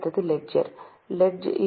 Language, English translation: Tamil, The next one is ledger